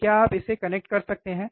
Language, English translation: Hindi, So, can you please connect it